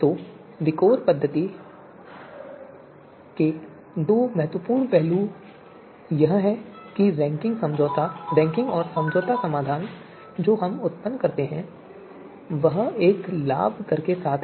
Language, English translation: Hindi, So two important aspect of VIKOR method is that the ranking and the compromise solution that we produce is with a you know advantage rate